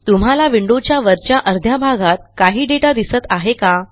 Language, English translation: Marathi, Can you see some data in the upper half of the window